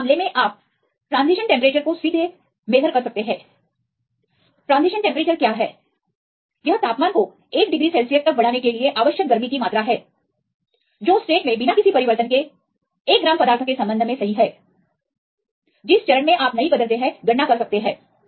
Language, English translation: Hindi, So, in this case, you can directly measure this transition temperature it is the amount of heat required to raise the temperature by 1 degree Celsius with respect to the 1 gram of substance without any change in the state right with no change in the phace you can calculate